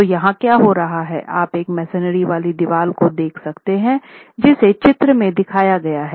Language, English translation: Hindi, So, what is happening here is you can look at a masonry wall that is shown in the figure at the top